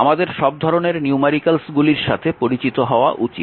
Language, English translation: Bengali, So, you should you should be familiar with all sort of numericals